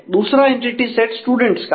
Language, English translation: Hindi, The second entity set are students